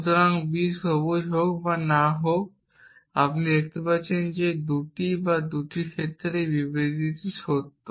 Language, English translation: Bengali, not green you can show that in either or the 2 cases this statement is true